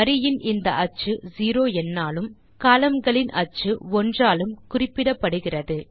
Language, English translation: Tamil, The axis of rows is referred by number 0 and columns by 1